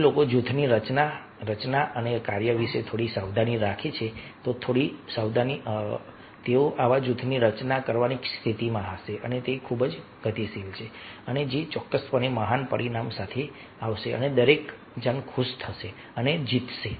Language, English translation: Gujarati, so if people are little bit causes, little bit alert about forming and functioning of the group, then they will be in a position to form such group which is very dynamic and which will definitely come up with ah great result and everybody will be happy and will mean situation